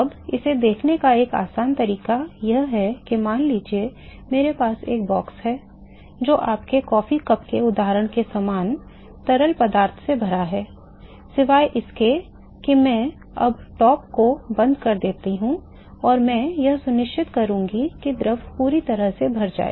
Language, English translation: Hindi, Now, an easy way to see that is suppose I have a box, which is filled with the fluid very similar to your coffee cup example, except that I now close the top and I will make sure that the fluid is filled all the way to the top of the enclosure